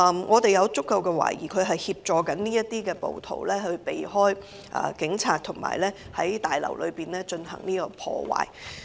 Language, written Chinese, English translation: Cantonese, 我們有足夠理由懷疑他正在協助該等暴徒避開警察，在大樓內進行破壞。, We have sufficient grounds to suspect that he was assisting the protesters to avoid police detection and vandalize the Complex